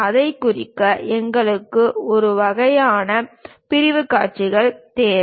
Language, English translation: Tamil, To represent that, we require this kind of sectional views